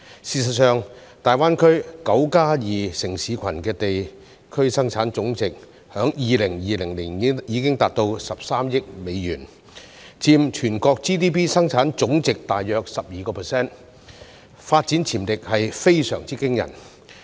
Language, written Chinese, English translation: Cantonese, 事實上，大灣區"九加二"城市群的地區生產總值在2020年已達至13億美元，佔全國 GDP 生產總值大約 12%， 發展潛力非常驚人。, In fact the nine plus two cities in GBA registered a GDP of US1.3 billion in 2020 accounting for approximately 12 % of the national GDP . The potential for development in GBA is very impressive